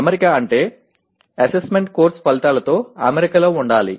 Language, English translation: Telugu, Alignment means assessment should be in alignment with the course outcomes